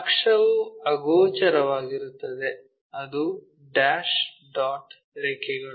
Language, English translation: Kannada, Axis is invisible, so dash dot lines